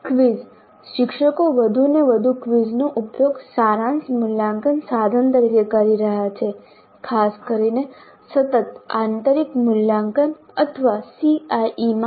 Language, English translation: Gujarati, Now quizzes teachers are increasingly using quizzes as summative assessment instruments, particularly in continuous internal evaluation or CIE